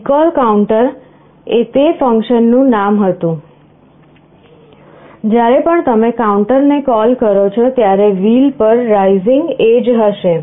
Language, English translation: Gujarati, Recall count was the name of that function, you call count every time there is a rising edge on wheel